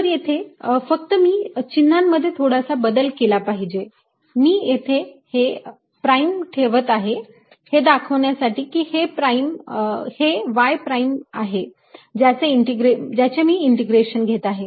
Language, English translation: Marathi, i will put a prime to indicated, as i have been doing, to show that it is a y prime over which i am integrating